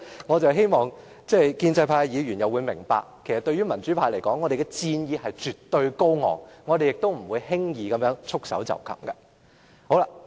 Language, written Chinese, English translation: Cantonese, 我希望建制派議員明白，對於民主派而言，我們戰意絕對高昂，不會輕易束手待斃。, I hope the pro - establishment Members will understand that we the democrats have great fighting spirit and we refuse to surrender